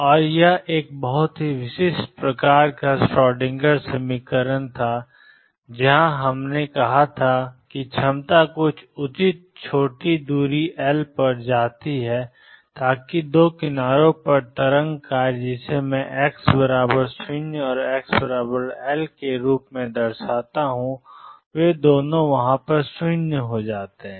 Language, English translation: Hindi, And this was a very specific kind of Schrodinger equation where we had said that the potential goes to infinity at some reasonable small distance L so that the wave function psi at the two edges which I denote as x equals 0 and x equals L they are both 0